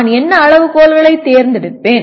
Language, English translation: Tamil, And what criteria do I select